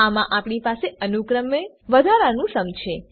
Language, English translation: Gujarati, In this we have incremented sum